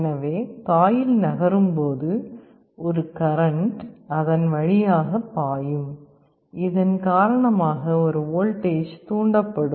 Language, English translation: Tamil, So, as the coil moves an electric current will be flowing through it, because of which a voltage will get induced